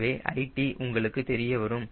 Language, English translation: Tamil, so lt is known to you